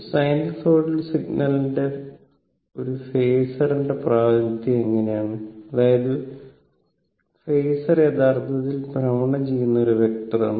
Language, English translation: Malayalam, This how that sinusoidal ah representation of an sinusoidal signal by a phasor; that means, phasor actually phasor is a rotating vector, right